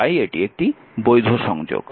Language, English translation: Bengali, So, this is invalid connection